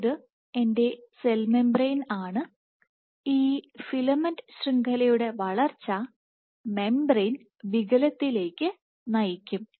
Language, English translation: Malayalam, So, this can be my cell membrane and this growth of this filament network will lead to membrane deformation or rather it will push the membrane